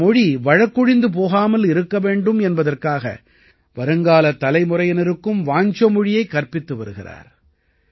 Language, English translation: Tamil, He is also teaching Wancho language to the coming generations so that it can be saved from extinction